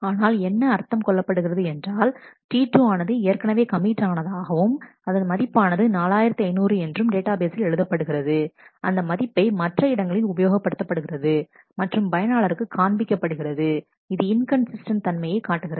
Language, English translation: Tamil, But that would mean that what T 2 has committed T 2 has already committed this value 4500 in the database and therefore, that has been probably been used in other places and shown to the user that will create an inconsistency in the database